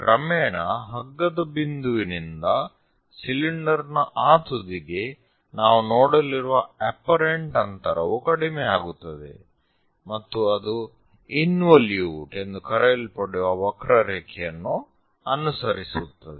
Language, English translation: Kannada, Gradually, the distance, the apparent distance what we are going to see from the rope point to that end of the cylinder decreases and it follows a curve named involutes